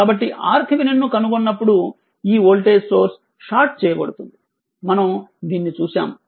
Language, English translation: Telugu, When you find the R Thevenin, this voltage source is sorted, we have seen this right